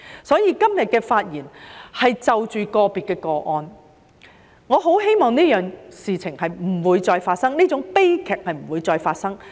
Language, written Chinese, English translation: Cantonese, 因此，今天發言中提及的是個別個案，我很希望這件事不會再發生，這種悲劇不會再發生。, Therefore the incidents mentioned in my speech today are unique cases . I really hope that such incidents or tragedies will not happen again